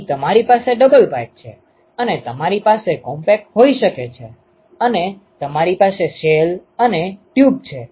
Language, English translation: Gujarati, So, you have double pipe double pipe, and you can have compact, and you have shell and tube ok